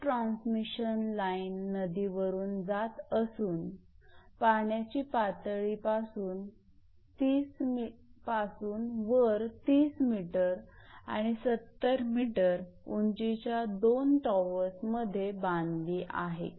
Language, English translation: Marathi, An overhead transmission line at a river crossing is supported from two towers at heights of 30 meter and 70 meter above the water level